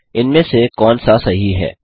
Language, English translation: Hindi, Which among this is correct